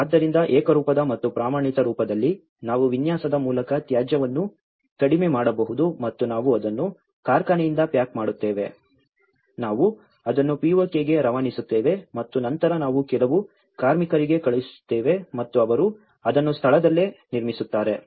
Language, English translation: Kannada, So, in a uniform and standardized format, so that we can reduce the waste by design and we pack it from the factory, we ship it to the POK and as well as then we send to few labours there and they erect it on spot